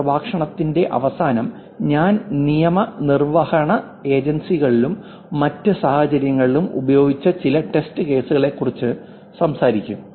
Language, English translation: Malayalam, I think at the end of this lecture I actually talk about some of the test cases in law enforcement agencies and in other situations